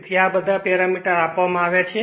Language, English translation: Gujarati, So, all these parameters are given